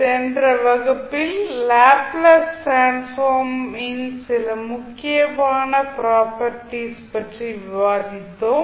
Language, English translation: Tamil, In this session discussed about a various properties of the Laplace transform